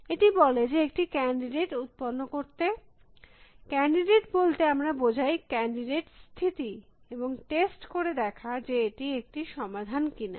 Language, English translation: Bengali, It says generate a candidate in when we says, candidate we mean the candidate state and test whether it is a solution